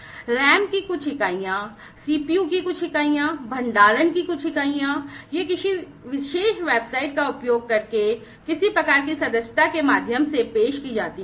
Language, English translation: Hindi, Certain units of RAM, certain units of CPU, certain units of storage etcetera, you know, these are offered through some kind of a subscription using a particular website